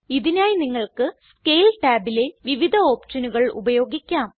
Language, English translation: Malayalam, For this you can use the various options in the Scale tab